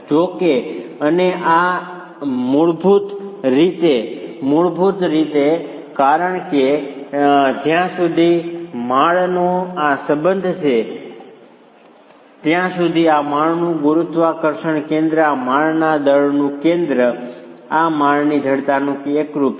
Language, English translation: Gujarati, However, if and this is basically because as far as this floor is concerned, the center of gravity of this flow, the center of mass of this flow and the center of stiffness of this flow coincide